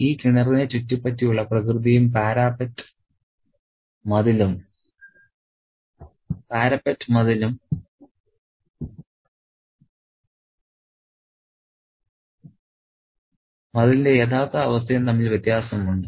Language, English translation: Malayalam, There is a contrast between the nature that envelops this well, the parapet wall and the actual state of condition of the wall